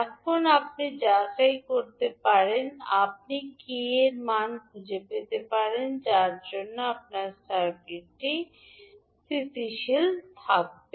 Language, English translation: Bengali, So this you can verify, you can find out the value of k for which your circuit will be stable